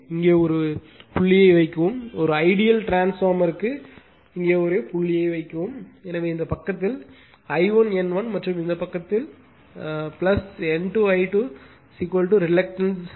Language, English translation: Tamil, Put a dot here, put a dot here for an ideal transformer, so you will see mmf on this side your I 1 N 1 and this side plus N 2 I 2 is equal to the reactance into phi, right